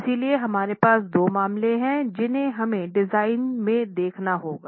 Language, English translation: Hindi, So, we have two cases that we must look at in design